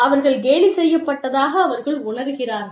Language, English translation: Tamil, They feel, that they have been mocked at